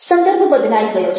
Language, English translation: Gujarati, the context has changed